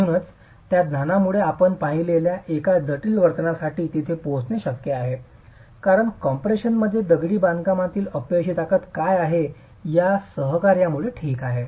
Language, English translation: Marathi, So with that knowledge is it possible to be able to arrive at for a complex behavior as we have seen because of the coaction, what is the failure strength of masonry itself in compression